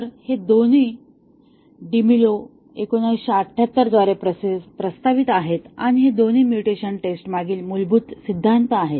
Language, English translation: Marathi, So, both these where proposed by DeMillo, 1978 and these two are the underlying theory behind mutation testing